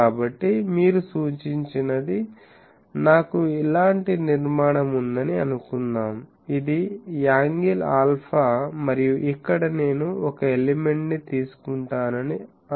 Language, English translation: Telugu, So, what you suggested that, suppose I have a structure like this; that means, it is a angle alpha, and here suppose I take a element